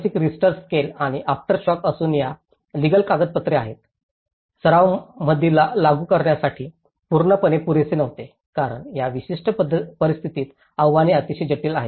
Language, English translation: Marathi, 6 Richter scale and having the aftershocks and that whatever the legal documents, they were not fully adequate to be applied in practice because the challenges are very complex, in this particular scenario